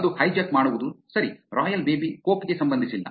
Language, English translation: Kannada, That is hijacking right, royal baby is nothing relevant to coke